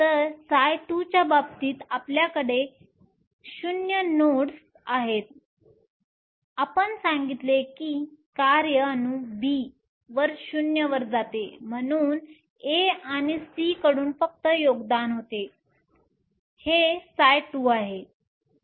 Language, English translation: Marathi, So, you have 0 nodes in the case of psi 2 we said that the function goes to 0 at atom B that is why there was only contribution from A and C this is psi 2